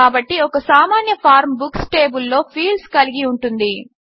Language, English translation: Telugu, So a simple form can consist of the fields in the Books table